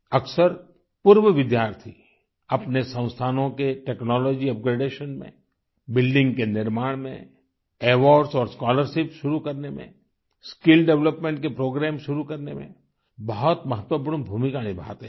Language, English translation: Hindi, Often, alumni play a very important role in technology upgradation of their institutions, in construction of buildings, in initiating awards and scholarships and in starting programs for skill development